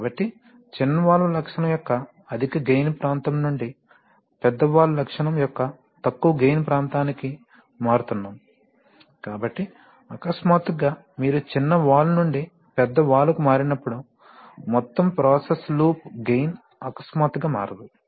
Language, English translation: Telugu, So, we are transforming from the high gain region of the small valve characteristic to the low gain region of the large valve characteristic, so therefore, the gain switching, the suddenly when you switch from the small valve to the large valve, the overall process loop gain does not suddenly change